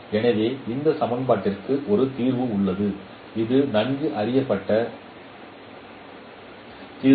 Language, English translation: Tamil, So there is a solution for this equation